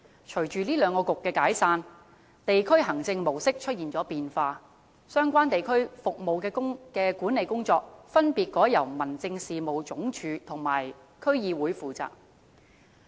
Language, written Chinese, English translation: Cantonese, 隨着兩局解散，地區行政模式出現變化，相關地區服務的管理工作，分別改由民政事務總署和區議會負責。, Subsequent to their dissolution the model of district administration models has undergone changes . The responsibility of managing the relevant district services has been transferred to the Home Affairs Department and DCs